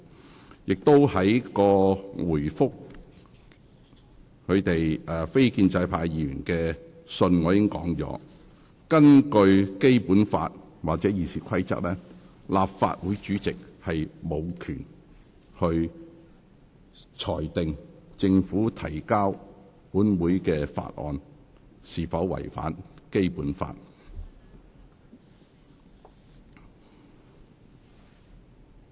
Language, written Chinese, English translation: Cantonese, 我亦在回覆非建制派議員的信件中提到，根據《基本法》或《議事規則》，立法會主席無權裁定政府提交本會的法案是否違反《基本法》。, In my reply letter to non - establishment Members I also stated that according to the Basic Law and the Rules of Procedure the President of the Legislative Council has no power to rule whether a bill introduced by the Government to the Legislative Council was consistent with the Basic Law or not